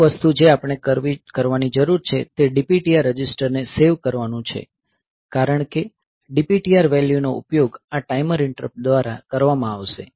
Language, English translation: Gujarati, The first thing that we need to do is to save the DPTR register because the DPTR value will be used by this timer interrupt